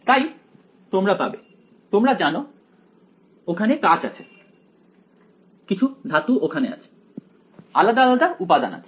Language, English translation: Bengali, So, you will have some you know glass over here, some metal over here right different different components are there